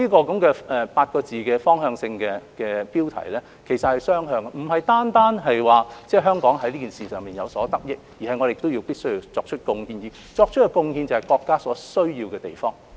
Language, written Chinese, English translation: Cantonese, 這個8個字的方向性標題是雙向的，香港不單可以從中有所得益，亦必需要作出貢獻，而作出的貢獻就是國家所需要的地方。, This policy as it reads indicates a two - way relation . While Hong Kong can benefit from the country we must also make contributions by contributing what the country needs